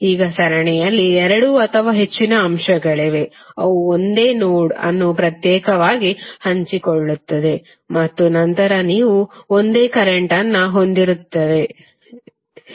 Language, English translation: Kannada, Now there are two or more elements which are in series they exclusively share a single node and then you can say that those will carry the same current